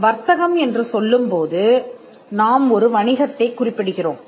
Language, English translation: Tamil, By trade we refer to a business